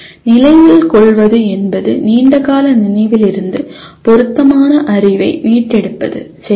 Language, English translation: Tamil, Remembering is retrieving relevant knowledge from the long term memory okay